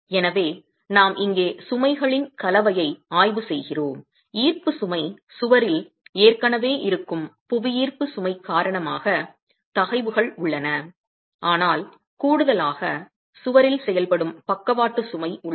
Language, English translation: Tamil, The gravity load is present, the stresses due to gravity loads are already present in the wall, but in addition we have the lateral load acting on the wall